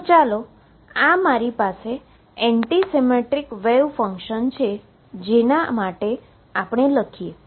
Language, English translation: Gujarati, So, let us write for anti symmetric wave function